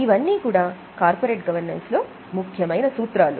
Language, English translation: Telugu, Now these are the main principles of corporate governance